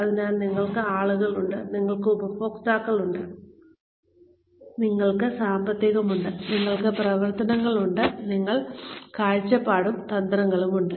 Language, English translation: Malayalam, So, we have people, we have customers, we have finances, we have operations, and we have the vision and strategy